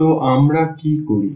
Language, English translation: Bengali, So, what we do